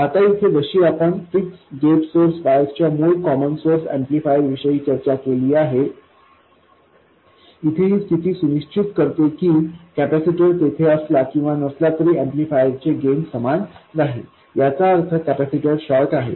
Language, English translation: Marathi, Now, like we discussed with the original common source amplifier with a fixed gate source wires, this condition ensures that the gain of the amplifier is the same whether the capacitor is there or not